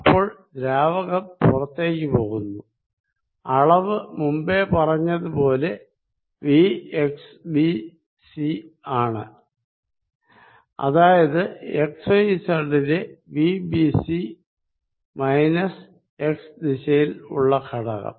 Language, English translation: Malayalam, So, fluid leaving, magnitude be already said is v x b c which is v at x and y and z b c and which component the component the minus x direction